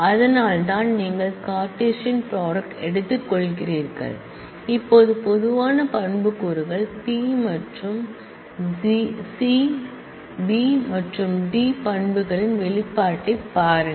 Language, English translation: Tamil, That is why, so you take the Cartesian product now look at the expression the attributes common attributes are B and C B and D